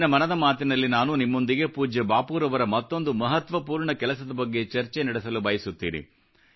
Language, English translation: Kannada, In today's Mann Ki Baat, I want to talk about another important work of revered Bapu which maximum countrymen should know